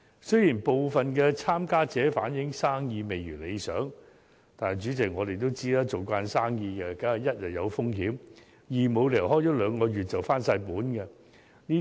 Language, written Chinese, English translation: Cantonese, 雖然部分參加者反映生意未如理想，不過，主席，我們也知道，做生意總會有風險，亦沒有理由開業兩個月便可全部回本。, Their efforts should be recognized . President some participants have indeed reflected that the business is not quite so good as expected but as we are all aware there is always risk in doing business and it is unreasonable to expect cost recovery in just two - month time